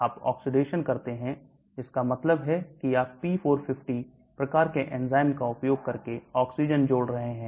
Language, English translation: Hindi, You do oxidation that means you are adding oxygen by using a p450 type of enzyme